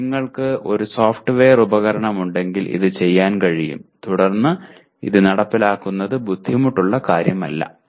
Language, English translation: Malayalam, But this can be done if you have a software tool implementing this should not be difficult at all